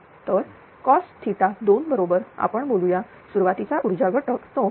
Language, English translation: Marathi, So, cos theta 2 is equal to say input power factor is 0